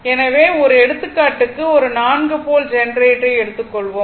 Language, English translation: Tamil, So, for example, one small example I have taken for a 4 pole generator right